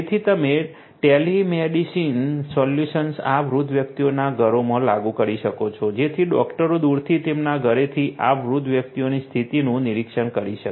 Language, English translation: Gujarati, So, you can have you know telemedicine solutions being deployed being implemented in the homes of this elderly persons so that the doctors can remotely monitor the condition of this elderly people from their home